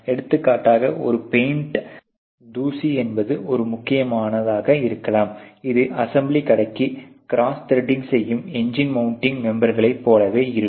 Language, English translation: Tamil, For example, a paint dust may be a that critical important which is probably the same as the engine mounting members cross threading for the assembly shop